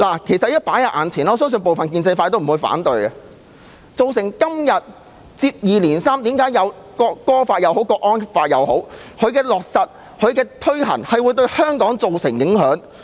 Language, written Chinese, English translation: Cantonese, 主席，我相信部分建制派也不會反對我的意見，即接二連三在香港落實和推行《條例草案》或國安法，會對香港造成影響。, President I believe even some pro - establishment Members will not be opposed to my view that the introduction and implementation of the Bill and the national security law one after another will impact on Hong Kong